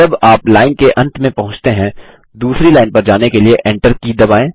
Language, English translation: Hindi, When you reach the end of the line, press the Enter key, to move to the second line